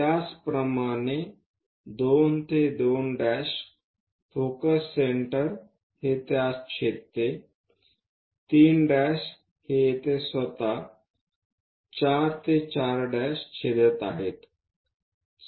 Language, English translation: Marathi, Similarly, 2 to 2 dash with focus centre intersect it, 3 dash thing is going to intersect here itself 4 to 4 dash